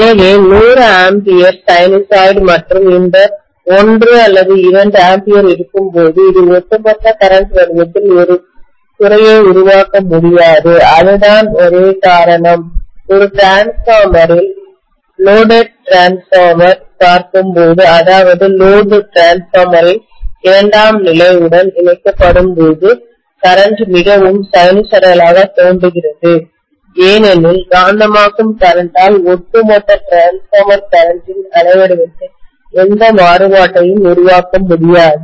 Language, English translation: Tamil, So when the 100 ampere is sinusoid and this 1 or 2 ampere, this cannot make a dent on the overall current shape, that is the only reason why in a transformer, when you look at the loaded transformer, that is when load is connected to the secondary of a transformer, the current looks fairly sinusoidal because the magnetizing current is not able to create any aberration in the waveform of the overall transformer current,